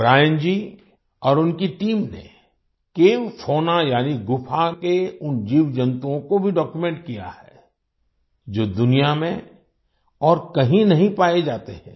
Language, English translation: Hindi, Brian Ji and his team have also documented the Cave Fauna ie those creatures of the cave, which are not found anywhere else in the world